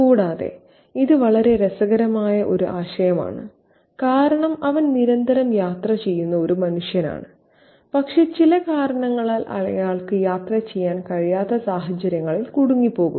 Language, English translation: Malayalam, And it's a very interesting idea because he is a man who constantly travels but he is for some reason or the other caught or trapped in situations where he cannot travel